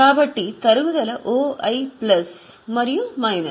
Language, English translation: Telugu, So, okay, so depreciation OI plus and minus